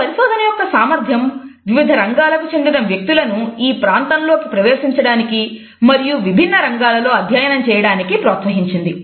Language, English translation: Telugu, The potential of this research has encouraged people from various fields to enter this area and to study it in diverse fields